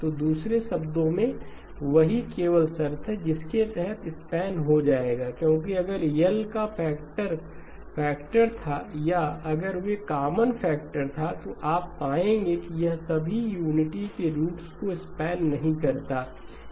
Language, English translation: Hindi, So in other words that is the only condition under which they will span, because if L was a factor of or if they had a common factor you will find that it does not span all the roots of unity